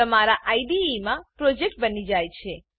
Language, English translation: Gujarati, The project is created in your IDE